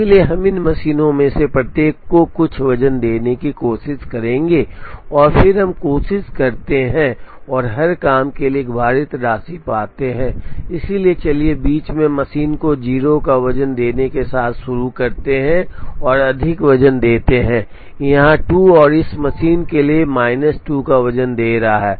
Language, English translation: Hindi, So, we will try and give some weights to each of these machines, and then we try and find a weighted sum for every job, so let us begin with giving a weight of 0 to the machine in the middle, giving a weight of plus 2 here and giving weight of minus 2 for this machine